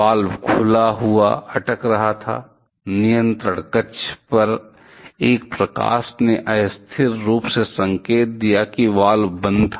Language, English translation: Hindi, The valve was being stuck open, a light on the control panel ostensibly indicated that the valve was closed